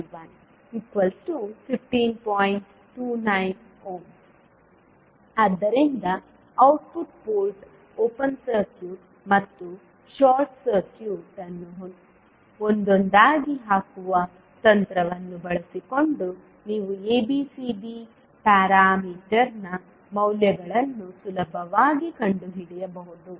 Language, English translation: Kannada, So using the technique of putting output port open circuit and short circuit one by one you can easily find out the values of ABCD parameter